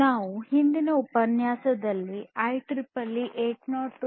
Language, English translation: Kannada, So, we have gone through the IEEE 802